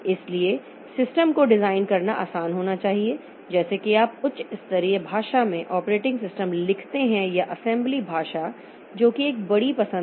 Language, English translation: Hindi, So, it should be easy to design the system like whether you write the operating system in high level language or the assembly language that is a big choice